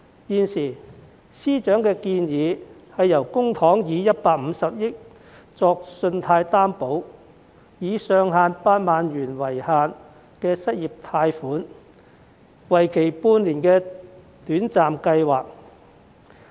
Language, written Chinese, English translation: Cantonese, 現時司長的建議，是以公帑150億元作信貸擔保，提供上限8萬元、為期半年的短暫失業貸款計劃。, As currently proposed by FS the Government will provide a loan guarantee commitment of 15 billion in public money for a short - term unemployment loan scheme subject to a loan ceiling of 80,000 per applicant . The application period will last for six months